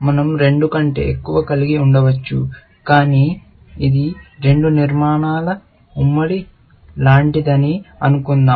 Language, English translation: Telugu, We can have more than two, but let us assume that this is like a joint of two structures